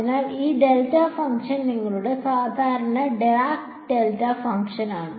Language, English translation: Malayalam, So, this delta function is your the your usual Dirac delta function right